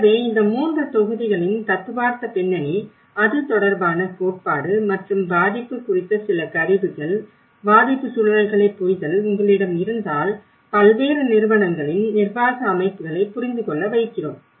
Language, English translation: Tamil, So, once if you have a theoretical background of these 3 modules, what is the theory related to it and some of the tools on vulnerability, understanding the vulnerability and with the context, then we try to give you an understanding of the setup of various organizations, the governance setups